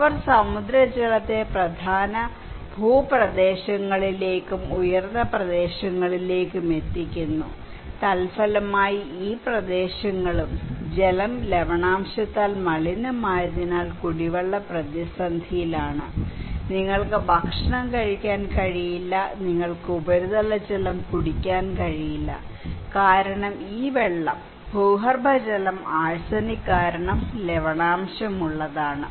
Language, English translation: Malayalam, They are channelising the seawater into mainland areas, so as upland areas; as a result, these areas are also contaminated by water salinity so, drinking water is in crisis, you cannot eat, you cannot drink surface water because this water is saline, and the groundwater because of arsenic